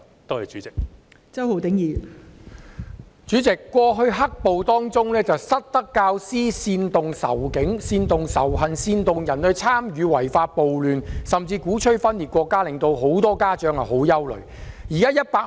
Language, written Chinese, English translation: Cantonese, 代理主席，早前"黑暴"期間，有失德教師煽動仇警及仇恨情緒，煽動他人參與違法暴亂，甚至鼓吹分裂國家，以致很多家長十分憂慮。, Deputy President during the period of black violence some teachers have misconducted themselves by inciting hostility against the Police and hatred sentiment inciting others to participate in illegal riots and even promoting secession causing great worry to many parents